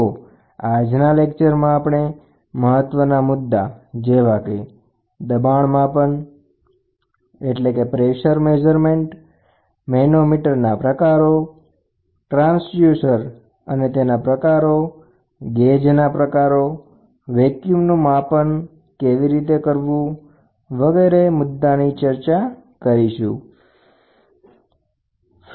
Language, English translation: Gujarati, So, in this lecture, we would like to cover pressure measurements, types of the manometers, types of transducer, types of gauges, measurement of vacuum which is very, very important